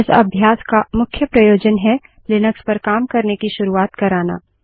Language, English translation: Hindi, The main motivation of this is to give you a headstart about working with Linux